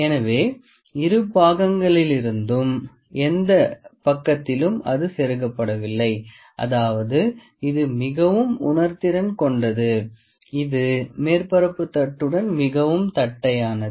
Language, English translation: Tamil, So in any side from either of the sides it is not getting inserted so; that means, it is quite sensitive it is quite flat with the surface plate